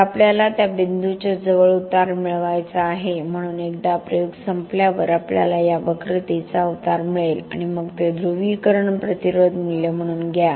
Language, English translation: Marathi, So we want to get the slope near to this point so once the experiment is over we will get a slope of this curve then take that as a polarisation resistance value